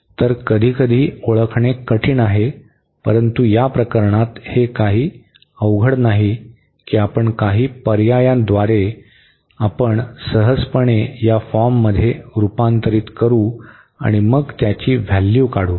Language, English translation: Marathi, So, sometimes difficult to recognize, but in this case it is not so difficult we by some substitution we can easily convert into this form and then we can evaluate